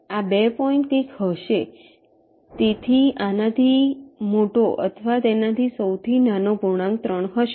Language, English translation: Gujarati, so this smallest integer greater than or equal to this will be three